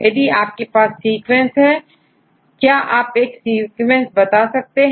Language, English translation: Hindi, For example, if you have sequence, can you tell a sequence